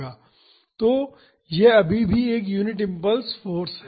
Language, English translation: Hindi, So, this is still a unit impulse force